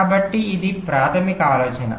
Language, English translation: Telugu, so this is the requirement